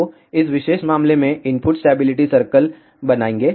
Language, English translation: Hindi, So, in this particular case draw input stability circle